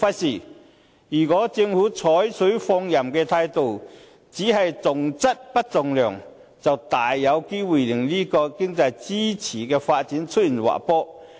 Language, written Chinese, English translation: Cantonese, 然而，如果政府採取放任態度，只重質不重量，就大有機會令此經濟支柱行業的發展出現滑坡。, Nevertheless if the Government is adopting a laissez - faire attitude not maintaining a balance between quality and quantity the development of this economic pillar industry will very likely take a downturn